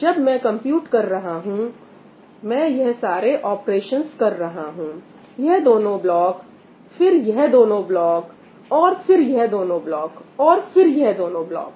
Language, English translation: Hindi, While computing C 2 comma 2, I am doing all these operations these two blocks, and then these two blocks, and then these two blocks, and then these two blocks